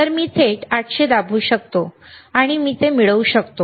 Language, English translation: Marathi, So, 800 millihertz, I can directly press 800 and I can get it